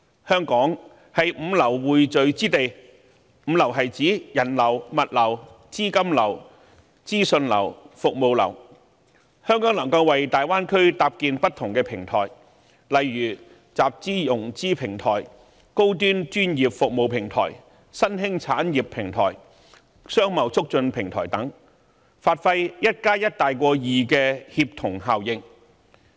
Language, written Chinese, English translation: Cantonese, 香港是5流匯聚之地，即人流、物流、資金流、資訊流及服務流，香港可為大灣區搭建不同的平台，例如集資/融資平台、高端專業服務平台、新興產業平台、商貿促進平台等，發揮 1+1 大於2的協同效應。, With the convergence of people products capital information and services here in Hong Kong we can serve as a platform for the Greater Bay Area to raise fund seek high - end professional services develop emerging industries and facilitate business and trade to achieve the synergy of one plus one greater than two